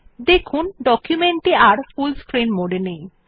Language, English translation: Bengali, We see that the document exits the full screen mode